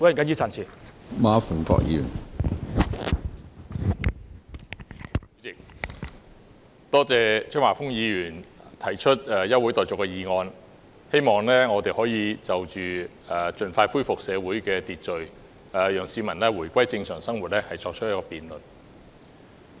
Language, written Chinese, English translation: Cantonese, 主席，多謝張華峰議員提出休會待續議案，希望我們可以就着如何盡快恢復社會秩序，讓市民回歸正常生活，作出辯論。, President I thank Mr Christopher CHEUNG for proposing the adjournment motion in the hope that we can conduct a debate on how to expeditiously restore social order so that peoples life can return normal